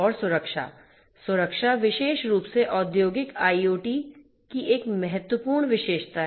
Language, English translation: Hindi, And safety; safety particularly is a important characteristics of the industrial IoT